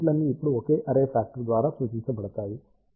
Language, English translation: Telugu, All of these elements now can be represented by single array factor